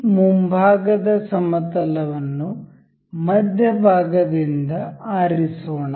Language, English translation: Kannada, Let us select this front plane from the middle